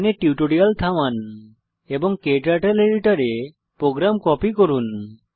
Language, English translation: Bengali, Please pause the tutorial here and copy the program into your KTurtle editor